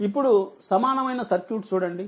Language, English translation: Telugu, Now, look at the equivalent circuit